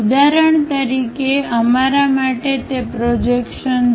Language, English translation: Gujarati, For example, for us draw those projections